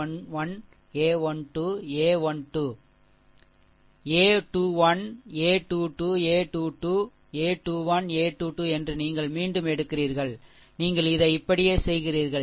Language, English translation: Tamil, And a 2 1, a 2 2, a 2 3, a 2 1, a 2 2 you repeat, you make it like this